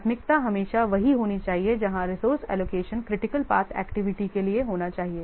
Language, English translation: Hindi, The priority must always be allogue to what the priority must always be to allocate resources to critical path activities